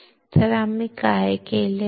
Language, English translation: Marathi, So, what we are done